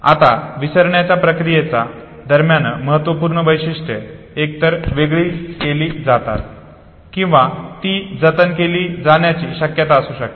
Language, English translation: Marathi, Now during the process of forgetting important features are either filtered out or if there could be a possibility that they are preserved